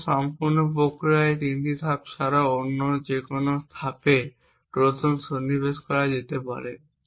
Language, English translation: Bengali, So, besides these three steps in the entire process Trojans can be inserted in any of the other steps